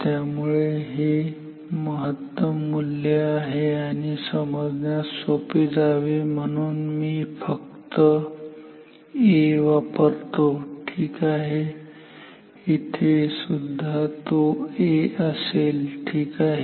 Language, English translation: Marathi, So, this is the peak value and let me just use A for simplicity ok, see here also it will be A ok